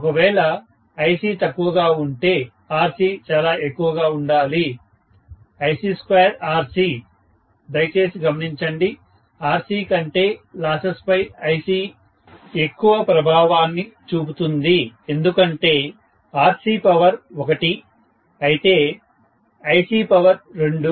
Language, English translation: Telugu, If Ic is a small, Rc has to be quite a lot, Ic square Rc, please note that Ic has more influence on the losses than Rc itself because Rc power 1, whereas Ic power 2